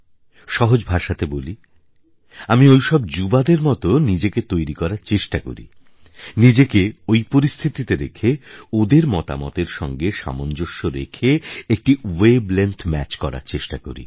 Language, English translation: Bengali, In simple words, I may say that I try to cast myself into the mould of that young man, and put myself under his conditions and try to adjust and match the wave length accordingly